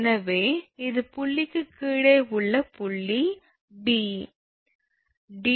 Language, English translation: Tamil, So, this is your this point below point B because d 2 you got, d 2 44